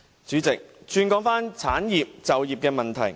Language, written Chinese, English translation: Cantonese, 主席，讓我談談產業及就業問題。, President let me discuss certain issues relating to industries and employment